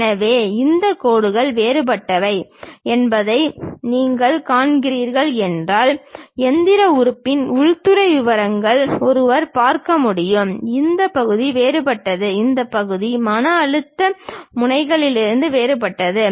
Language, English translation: Tamil, So, if you are seeing these lines are different, the interior details of the machine element one can see; this part is different, this part is different the stress nozzles